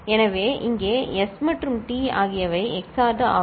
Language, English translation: Tamil, So, here S and T are XORed